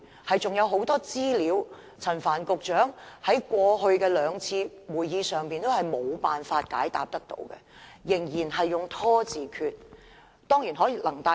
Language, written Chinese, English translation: Cantonese, 例如陳帆局長在過去兩次的會議上，仍無法提供很多資料，仍然採取"拖字訣"。, For instance Secretary Frank CHAN was still unable to produce a lot of information in the past two meetings . He kept stalling